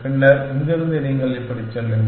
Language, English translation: Tamil, Then, from here you go like this